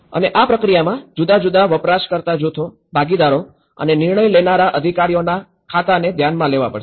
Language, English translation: Gujarati, And one has to look into and take into the account of different user groups, the stakeholders, the decision making authorities in the process